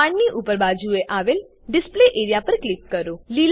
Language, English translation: Gujarati, Click on the Display area above the arrow